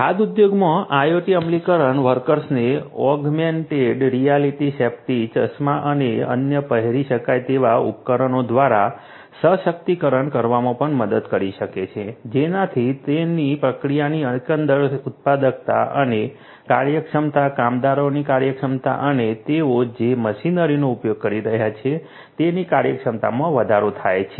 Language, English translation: Gujarati, IoT implementation in the food industry can also help in empowering the workers through augmented reality safety glasses and other wearable, thereby increasing the overall productivity and efficiency of their processes, efficiency of the workers, efficiency of the machinery that they are using